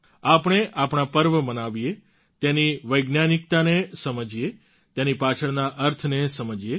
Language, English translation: Gujarati, Let us celebrate our festivals, understand its scientific meaning, and the connotation behind it